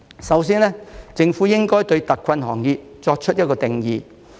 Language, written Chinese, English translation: Cantonese, 首先，政府應該對特困行業作出一個定義。, First the Government should define hard - hit industry